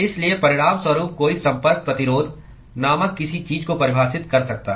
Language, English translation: Hindi, So, as a result, one could define something called a Contact Resistance